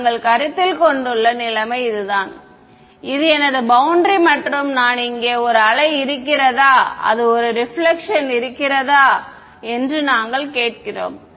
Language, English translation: Tamil, We have the situation we are considering is this is my boundary and I have a wave that is incident over here and we are asking that is there a reflection